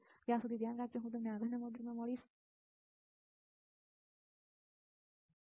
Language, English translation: Gujarati, Till then you take care I will see you in the next module bye